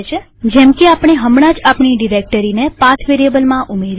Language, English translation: Gujarati, Like we had just added our directory to the PATH variable